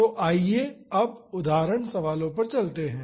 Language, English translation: Hindi, So, now let us move on to example problems